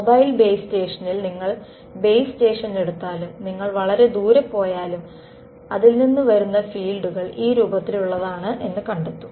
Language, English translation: Malayalam, Even if you take the base station I mean in the mobile base station and you go far away from you will find the fields coming from it are of this form